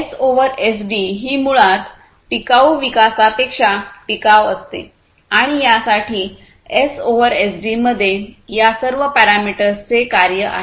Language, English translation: Marathi, So, S over SD is basically sustainability over sustainable development and for this S over SD has all of it is a function of all these parameters, right